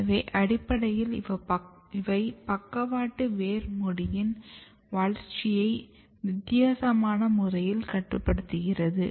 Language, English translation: Tamil, So, basically they are regulating lateral root cap development in a different manner